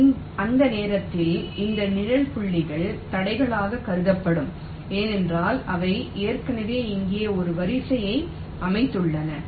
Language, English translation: Tamil, so during that time these shaded points will be regarded as obstacles because they have already laid out a live here